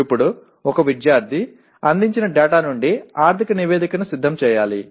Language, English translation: Telugu, Now a student is required to prepare a financial statement from the data provided